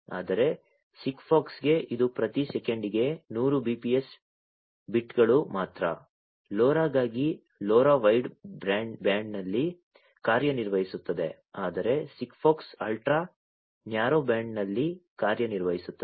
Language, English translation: Kannada, Whereas, for SIGFOX it is only 100 bps bits per second; for LoRa, LoRa operates in wide band whereas, SIGFOX in ultra narrow band